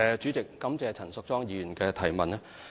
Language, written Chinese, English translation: Cantonese, 主席，感謝陳淑莊議員的提問。, President I thank Ms Tanya CHAN for her supplementary question